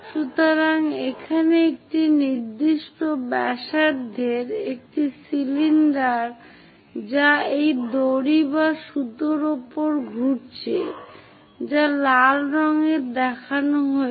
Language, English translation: Bengali, So, here an example a cylinder of particular radius which is winding over this rope or thread which is shown in red color